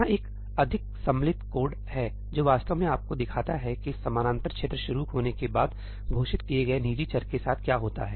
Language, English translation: Hindi, Here is a more involved piece of code that actually shows you what happens to private variables that are declared after the parallel region starts